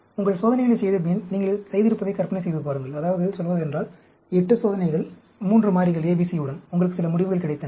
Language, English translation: Tamil, Having done your experiments, imagine you have done, say 8 experiments, with 3 variables A, B, C, and you got some results